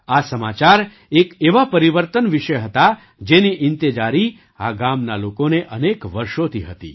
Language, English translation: Gujarati, This news was about a change that the people of this village had been waiting for, for many years